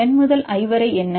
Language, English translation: Tamil, What is the case of N to I